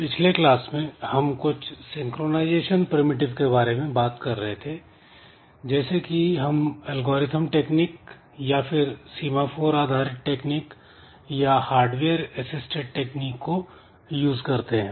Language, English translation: Hindi, So, in our last class we were looking into some synchronization primitives like using some techniques like algorithmic techniques then some semaphore based techniques then some hardware assisted techniques etc